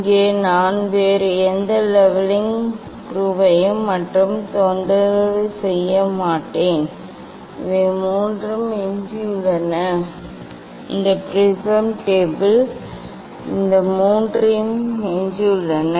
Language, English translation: Tamil, here I will not disturb any other leveling screw only, these three are left, these prism table these three are left